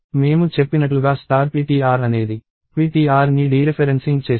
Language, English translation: Telugu, So, star ptr as I said is dereferencing ptr